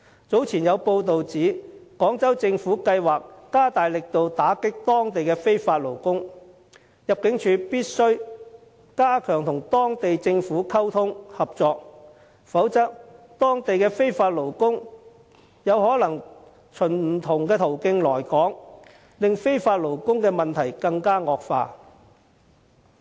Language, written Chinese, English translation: Cantonese, 早前有報道指廣州政府計劃加大力度打擊當地的非法勞工，入境處必須加強與當地政府溝通、合作，否則當地的非法勞工有可能循不同途徑來港，令非法勞工的問題惡化。, Recently it was reported that the Guangzhou Government intended to strengthen its efforts of combating illegal workers there . ImmD must step up communication and cooperation with the Guangzhou Government or else the illegal workers there may attempt to come to Hong Kong through various channels . This will aggravate our problem of illegal workers